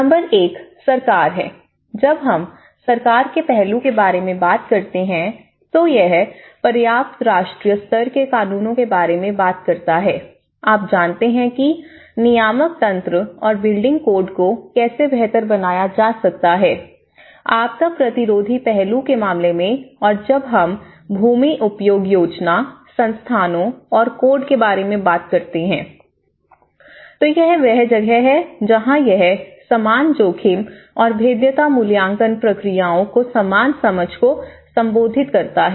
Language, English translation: Hindi, Number one is government, when we talk about the government aspect, it talks about adequate national scale laws, you know what are the regulatory mechanisms and building codes how to improve the building codes, in order to the disaster resistant aspect of it and the land use planning, institutions and when we talk about codes, that is where it is addressing the uniform understanding of the uniform risk and vulnerability assessment procedures